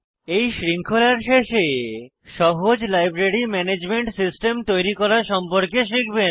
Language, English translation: Bengali, At the end of this series, you will learn to create this simple Library Management System